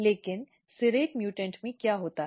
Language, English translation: Hindi, But what happens in the serrate mutant